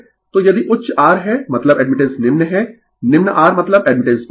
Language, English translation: Hindi, So, if ha high R means admittance is low, low R means admittance is high